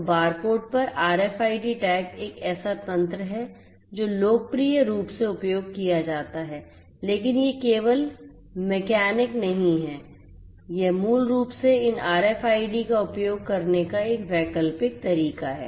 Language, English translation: Hindi, So, RFID tags over barcodes is a mechanism that is popularly used, but is not the only mechanic this is an alternative way of basically using these RFIDs